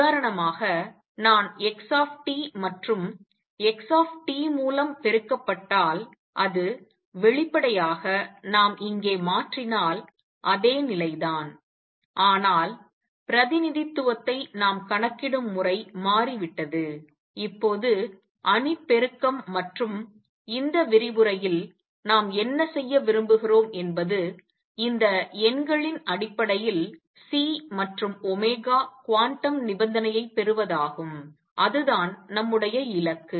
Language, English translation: Tamil, For example, if I have x t and multiplied by x t that would; obviously, be the same if we change it here, but the way we calculate the representation has become, now matrix multiplication and what we want to do in this lecture is obtain the quantum condition in terms of these numbers C and omega that is our goal